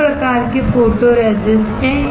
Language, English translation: Hindi, There are two types of photoresists